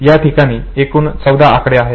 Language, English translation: Marathi, So, you have total 14 digits here